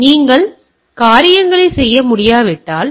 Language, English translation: Tamil, So, if you cannot this to the things